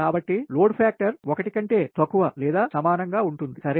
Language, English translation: Telugu, so load factor is less than or equal to unity, generally less than one, right less than one